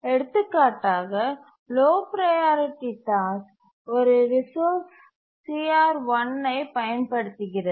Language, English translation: Tamil, Just to give an example, a low priority task is using a resource CR1